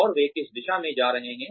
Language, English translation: Hindi, And, what direction, they will be taking